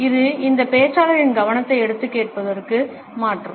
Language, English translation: Tamil, It takes the focus of this speaker and transfers it on to the listener